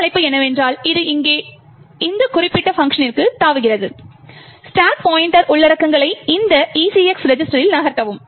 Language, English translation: Tamil, What this call does is that it jumps to this particular function over here, move the contents of the stack pointer into this ECX register